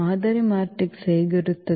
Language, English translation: Kannada, What will be the model matrix